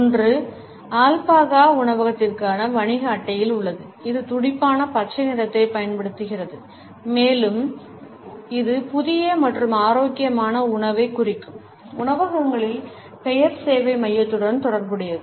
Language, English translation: Tamil, One is of the business card for Albahaca restaurant which uses vibrant green and it is associated with the restaurants namesake hub suggesting fresh and healthy food